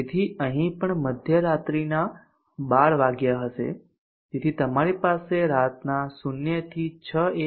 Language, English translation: Gujarati, midnight, 12 midnight, so this also will be 12 midnight, so you have 0to 6 a